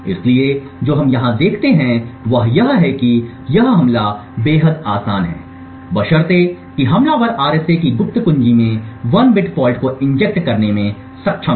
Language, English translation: Hindi, So, what we see over here is that this attack is extremely easy provided that the attacker is precisely able to inject 1 bit fault in the secret key of the RSA